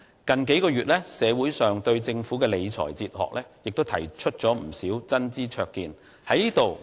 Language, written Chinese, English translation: Cantonese, 近數個月，社會上對政府的理財哲學亦提出了不少真知灼見。, In the past few months many people have provided valuable advice and views on the fiscal philosophy of the Government